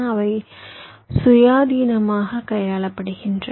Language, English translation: Tamil, they are handled independently